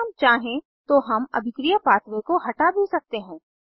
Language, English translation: Hindi, We can also remove the reaction pathway, if we want to